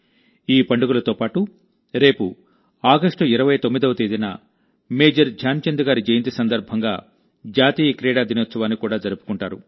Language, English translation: Telugu, Along with these festivals, tomorrow on the 29th of August, National Sports Day will also be celebrated on the birth anniversary of Major Dhyanchand ji